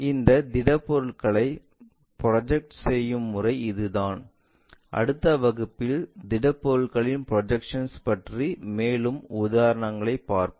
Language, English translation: Tamil, This is the way we project these solids in the next class we will look at more examples on this projection of solids